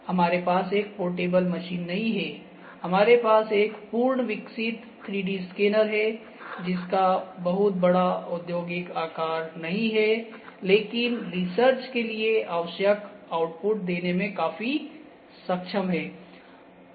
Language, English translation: Hindi, So, we do not have a portable machine, we have a full fledged 3D scanner not a very big industrial size, but for research it is quite capable of producing the outputs that as required